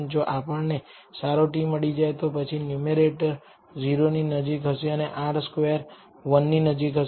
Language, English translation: Gujarati, If we have obtained a very good t then the numerator will be close to 0 and R squared will be close to 1